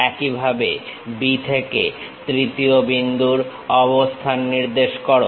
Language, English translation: Bengali, Similarly, from B locate third point